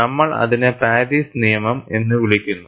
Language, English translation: Malayalam, We call that as the Paris law